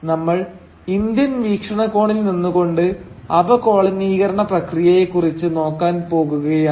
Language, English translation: Malayalam, We are going to look at the process of decolonisation through the Indian perspective